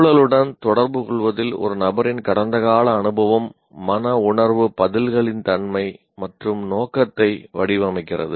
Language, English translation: Tamil, Persons past experience in interacting with the environment shapes the nature and scope of affective responses